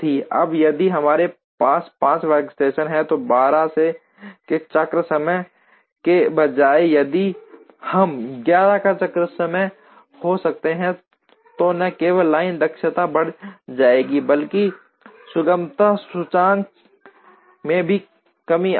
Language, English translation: Hindi, Now, if we have 5 workstations and instead of cycle time of 12, if we can have the cycle time of 11, then not only will the line efficiency go up, but the smoothness index will also come down